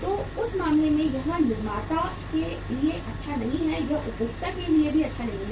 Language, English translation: Hindi, So in that case uh it is not good for the manufacturer, it is not good for the consumer also